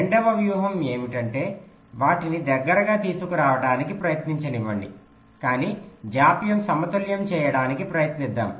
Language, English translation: Telugu, the second strategy is that, well, let us not not try to bring them close together, but let us try to balance the delays